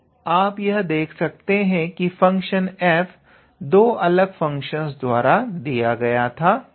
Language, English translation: Hindi, So, you can see here the given function f was actually given by how to say two different functions